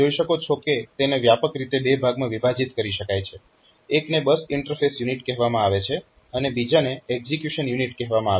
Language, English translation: Gujarati, be broadly divided into 2 parts or 2 regions one is called bus interface unit, another is called execution unit